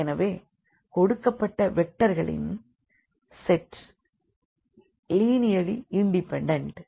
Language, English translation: Tamil, So, this given set of vectors here is linearly dependent